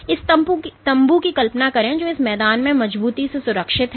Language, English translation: Hindi, So imagine this tent which is firmly secured in this ground